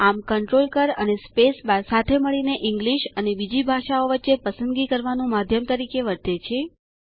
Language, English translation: Gujarati, Thus CONTROL key plus space bar acts as a toggle between English and the other language selected